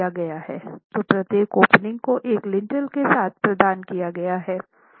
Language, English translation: Hindi, So every opening is typically provided with a lintel